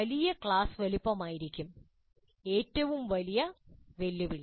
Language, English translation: Malayalam, One of the biggest challenges would be the large class size